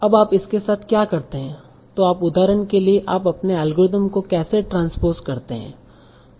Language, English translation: Hindi, So now, so what do you do with, so how do you modify your algorithm for taking care of transpose for instance